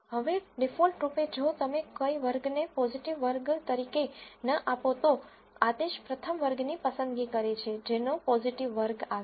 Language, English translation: Gujarati, Now by default if you do not give any class as a positive class the command chooses the first class that it encounters as the positive class